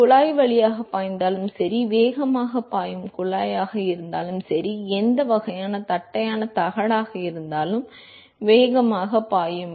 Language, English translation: Tamil, Whether it is flow through a tube, whether it is flow fast a tube, flow fast a flat plate whatever kind of